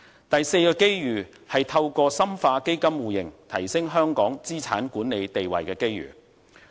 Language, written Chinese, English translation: Cantonese, 第四個機遇，就是透過深化基金互認提升香港資產管理地位的機遇。, The fourth opportunity arises from the intensification of the mutual recognition of funds MRF which can enhance the position of Hong Kong as an asset management centre